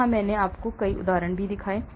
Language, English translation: Hindi, where I showed you a lot of examples of